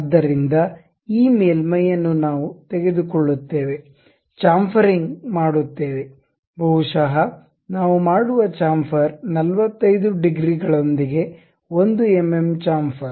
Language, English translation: Kannada, So, this surface we will take it, go with the chamfering, maybe 1 mm chamfer with 45 degrees we make